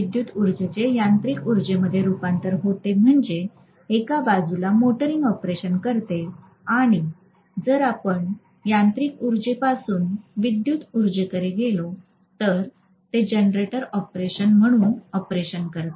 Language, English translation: Marathi, So when this is being done if electrical energy is converted into mechanical energy it is going to be motoring operation on one side whereas if I am going to do from mechanical energy to electrical energy this is known as generator operation